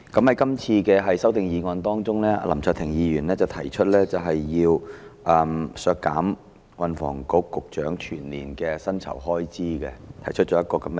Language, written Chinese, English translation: Cantonese, 這次的修正案當中，林卓廷議員提出削減運房局局長的全年薪酬開支預算。, In this amendment Mr LAM Cheuk - ting proposes to deduct the estimated expenditure on the annual emoluments of the Secretary for Transport and Housing STH